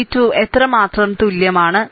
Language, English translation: Malayalam, V 2 is equal to how much, right